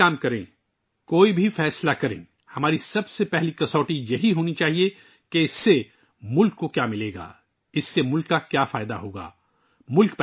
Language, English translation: Urdu, Whatever work we do, whatever decision we make, our first criterion should be… what the country will get from it; what benefit it will bring to the country